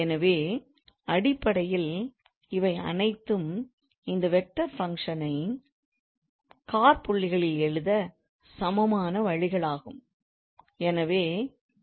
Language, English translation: Tamil, So all these are just equivalent ways to write this vector function in commas basically